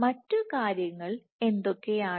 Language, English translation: Malayalam, What are the other things